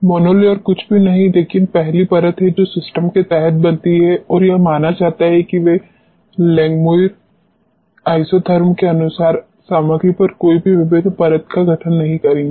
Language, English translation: Hindi, Mono layer is nothing, but the first layer which gets formed under system and it is assumed that they will not be any multiple layer formation on the material as such as per the Langmuir isotherm